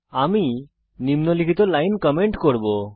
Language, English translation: Bengali, I will comment out the following lines